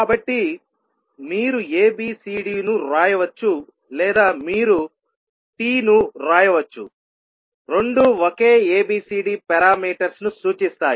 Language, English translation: Telugu, So, either you can write ABCD or you can simply write T, both will represent the same set of ABCD parameters